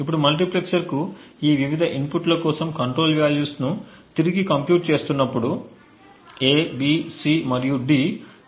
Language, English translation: Telugu, Now recomputing the control values for these various inputs to the multiplexer we see that A, B, C and D still have a control value of 0